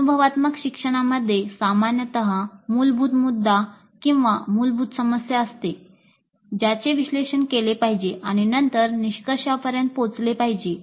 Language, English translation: Marathi, Experiential learning generally involves a core issue or a core problem that must be analyzed and then brought to a conclusion